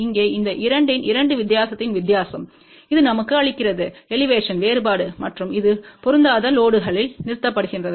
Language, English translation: Tamil, And here we have the difference of these 2 difference of these 2 this gives us Elevation difference and this is terminated and matched load it is not required